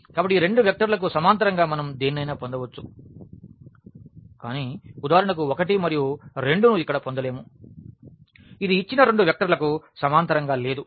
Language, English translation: Telugu, So, we can get anything in this in this parallel to this these two vectors, but we cannot get for instance here 1 and 2 which is not parallel to these two vectors the given vectors